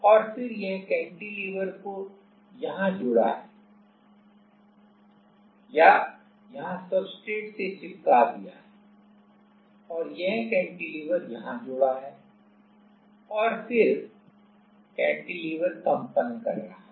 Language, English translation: Hindi, And, then this cantilever is attached here or sticked here to the substrate and this cantilever is attached here and then the cantilever can vibrate